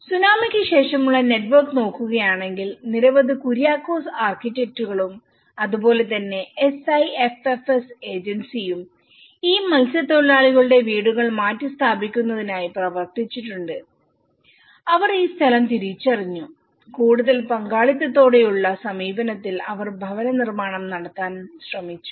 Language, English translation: Malayalam, And if we look at the network after the tsunami, many Kuriakose architect and as well as the SIFFS Agency has worked on this relocation of this fishermen houses they identified this land and they tried to work out the housing when a more of a participatory approach